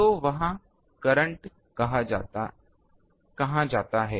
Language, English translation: Hindi, So, where that current goes